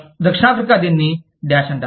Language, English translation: Telugu, South Africa, it is called Dash